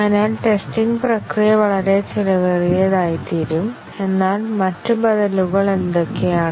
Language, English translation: Malayalam, So, the testing process will become extremely expensive, but then what are the other alternatives